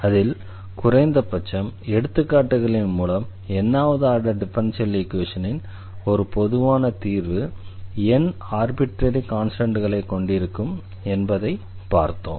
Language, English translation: Tamil, And in that we have seen at least through the examples that a general solution of nth order we will contain n arbitrary constants ok